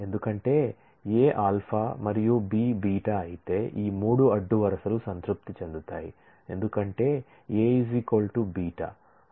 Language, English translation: Telugu, Because, A is alpha and B is beta whereas, these 3 rows satisfy because A is equal to beta